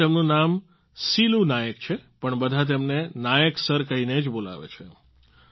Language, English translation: Gujarati, Although his name is Silu Nayak, everyone addresses him as Nayak Sir